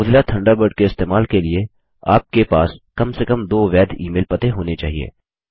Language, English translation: Hindi, To use Mozilla Thunderbird,You must have at least two valid email addresses